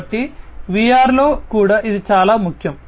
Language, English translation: Telugu, So, this is also very important in VR